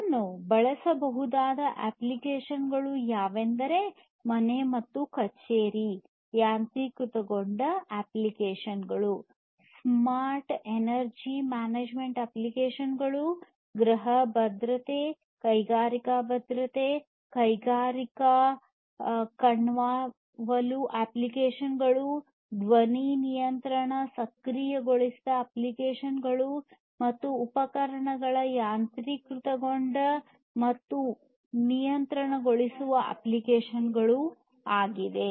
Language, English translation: Kannada, Applications where it can be used are home and office automation applications, smart energy management applications, smart security, home security, industrial security, industrial surveillance applications, voice control enabled applications, appliance automation and control, and so on